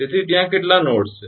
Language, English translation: Gujarati, so how many nodes are there